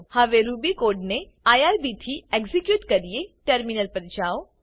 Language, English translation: Gujarati, Now let us execute our Ruby code through irb